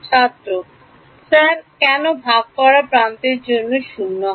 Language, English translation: Bengali, Sir why for shared edge become 0